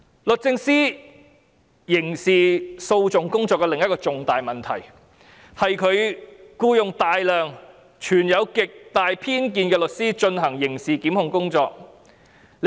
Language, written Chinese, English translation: Cantonese, 律政司刑事訴訟工作的另一個重大問題，是僱用大量存有極大偏見的律師進行刑事檢控工作。, Another big problem with the criminal litigation work of the Department of Justice is the engagement of many lawyers with profound biases to undertake criminal litigation work